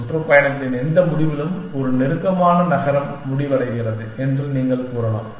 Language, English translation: Tamil, You can say which ever end of the tour has a closer city extend, that towards end